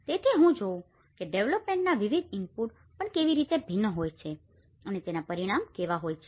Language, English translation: Gujarati, So, I am looking at how different development inputs also vary and how the outcome will be